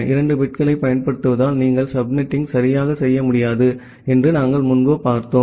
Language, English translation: Tamil, And as we have looked earlier that using 2 bits, you cannot do the subnetting properly